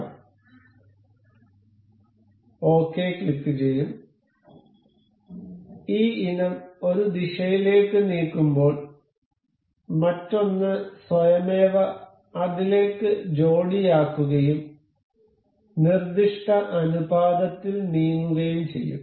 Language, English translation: Malayalam, We will click ok and as we move this item to in one direction, the other one automatically couples to that and move in the prescribed ratio